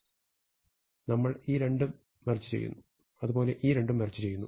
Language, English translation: Malayalam, We want to merge these two, and we want to merge these two